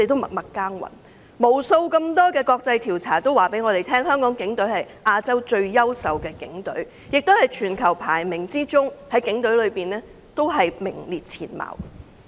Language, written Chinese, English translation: Cantonese, 無數國際調查告訴我們，香港警隊是亞洲最優秀的警隊，亦在全球警隊的排名中名列前茅。, Numerous international surveys showed us that the Hong Kong Police Force is the best police force in Asia and ranks among the best in the world